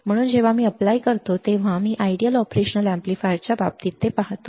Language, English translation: Marathi, So, when I apply the; when I see that in case of ideal operation amplifier